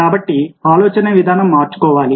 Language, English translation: Telugu, so the mindset has to be changed